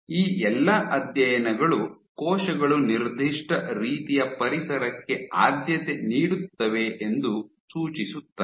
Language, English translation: Kannada, All these studies suggest that cells tend to have a preference for a certain kinds of environment